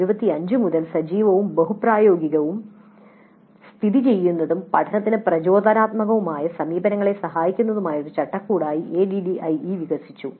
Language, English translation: Malayalam, ADE has evolved since 1975 into a framework that facilitates active, multifunctional situated and inspirational approaches to learning